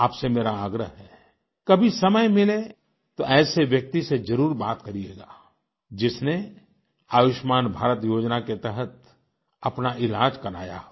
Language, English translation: Hindi, I request you, whenever you get time, you must definitely converse with a person who has benefitted from his treatment under the 'Ayushman Bharat' scheme